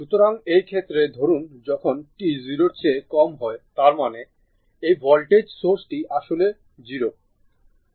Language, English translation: Bengali, So, in this case suppose for t less than 0 suppose for t less than 0 that means, this voltage source which actually it is 0